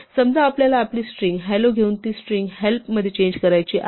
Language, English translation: Marathi, Suppose, we want to take our string “hello” and change it to the string “help